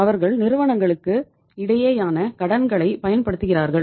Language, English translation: Tamil, They use the inter corporate borrowings